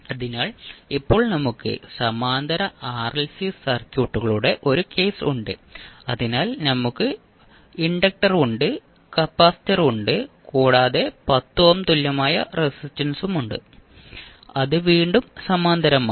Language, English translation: Malayalam, So, now we have a case of parallel RLC circuits, so we have inductor, we have capacitor and we will have another equivalent resistance of 10 ohm which is again in parallel